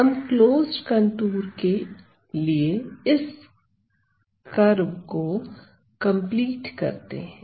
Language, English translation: Hindi, So, we complete this curve to have a closed contour